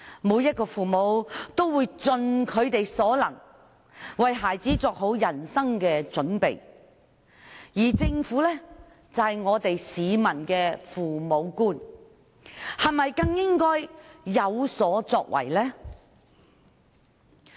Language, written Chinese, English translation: Cantonese, 每位父母也會盡其所能，為孩子作好人生準備，而政府是市民的父母官，是否更應該有所作為呢？, All parents will definitely strive to make proper preparations for their children . In this connection should the parental government officials do something?